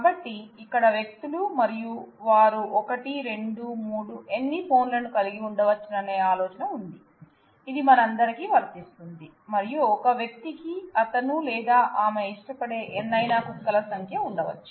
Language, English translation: Telugu, So, the idea is that the here persons and they can have 1, 2, 3 any number of phones, which is true for all of us and then a person may have any number of dogs that he or she likes